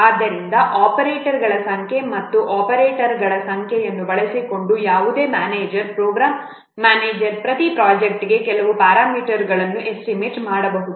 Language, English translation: Kannada, So by using the number of operators and the number of operands, any manager program manager can estimate certain parameters for his project